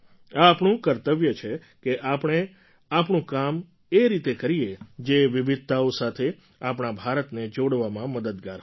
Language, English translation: Gujarati, It is our duty to ensure that our work helps closely knit, bind our India which is filled with diversity